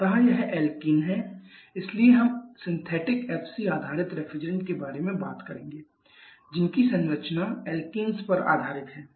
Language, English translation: Hindi, So, these are alkenes so we shall be talking about the synthetic FCS refrigerants who are structures are based upon alkenes